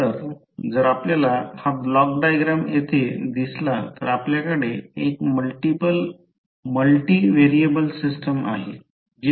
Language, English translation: Marathi, So, if you see this block diagram here you have one multivariable system